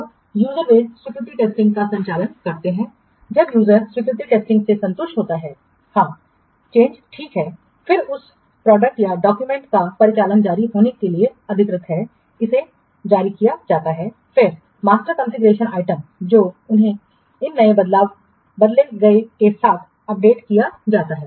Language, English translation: Hindi, When the users are satisfied with the acceptance testing, yes, the change is okay, then the operational release of that product or document is authorized, it is released, and then the master configuration items they are updated with these new changed ones